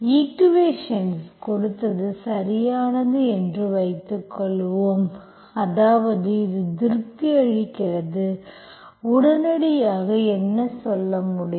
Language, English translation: Tamil, Suppose you have given equation is exact, that means this is satisfied, immediately what you can say